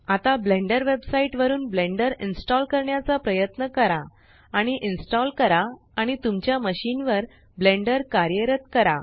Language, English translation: Marathi, Now try to download Blender from the Blender website and install and run Blender on your machine